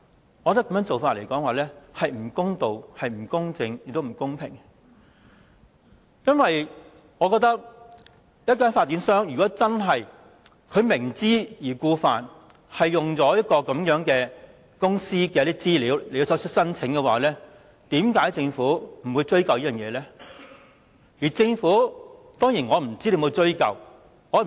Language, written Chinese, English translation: Cantonese, 我覺得這做法並不公道、不公正，亦不公平，因為我覺得發展商如果明知故犯，採用這些資料作出申請的話，為甚麼政府不予追究？, I find this approach unjust impartial and unfair . Why did the Government not pursue the matter should the developer knowingly commit the offence by using such information in the application lodged?